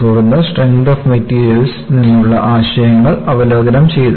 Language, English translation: Malayalam, Then, the concepts from strength of materials were reviewed